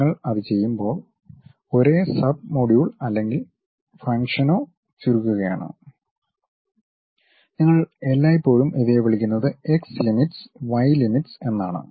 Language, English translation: Malayalam, When you do that you are basically shrinking the same sub module or function you are all the time calling these are my x limits, y limits